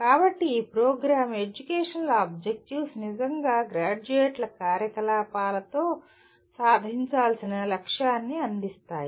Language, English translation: Telugu, So these Program Educational Objectives really provide a kind of a goal that needs to be attained with the activities of graduates